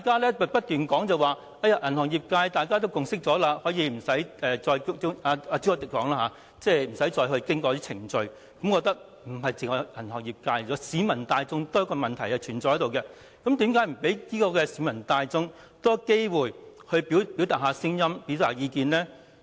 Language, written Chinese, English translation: Cantonese, 朱凱廸議員說銀行業已有共識，故此可以不經過某些程序，但我認為問題不單關乎銀行業界，也與市民大眾有關，那為何不提供多些機會讓市民大眾表達意見呢？, Mr CHU Hoi - dick asserted that a consensus had been forged in the banking industry so certain procedures could be dispensed with . But I think this matter concerns not only the banking industry but also the general public . So why should we refuse to offer more opportunities for the general public to express their views?